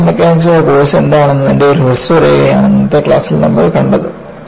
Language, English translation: Malayalam, And, what we have seen in today’s class was, a brief outline of, what is the course on Fracture Mechanics